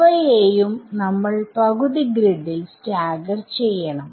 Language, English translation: Malayalam, So, we will also stagger them by half a grid